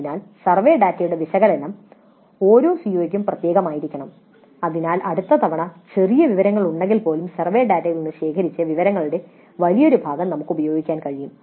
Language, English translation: Malayalam, So the analysis of the survey data must be specific to each CO so that next time even if there are minor changes we can use a large part of the information gathered from the survey data